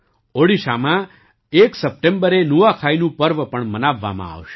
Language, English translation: Gujarati, The festival of Nuakhai will also be celebrated in Odisha on the 1st of September